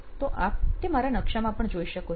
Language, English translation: Gujarati, And so, you can see that in my map as well